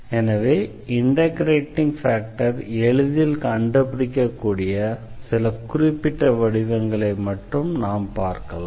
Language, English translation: Tamil, So, we will consider only some special cases where we can find the integrating factor easily